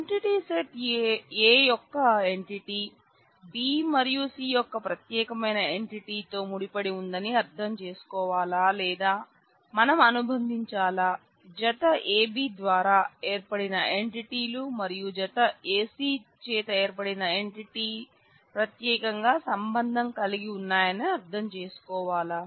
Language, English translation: Telugu, Should we interpret that an entity of entity set A is associated with unique entity from B and C together or should we associate, should we interpret that the entities formed by the pair a B and the entity formed by the pair A C are uniquely related